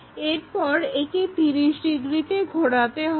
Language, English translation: Bengali, So, we just have to rotate this by 30 degrees